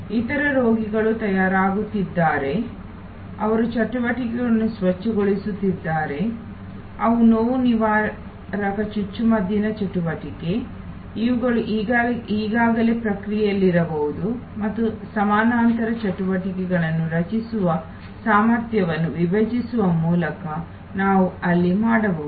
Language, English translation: Kannada, Other patients are getting ready, they are cleaning activities, they are pain killer injection activity, these are may be already in the process and we can there by splitting the capacity creating parallel lines of activity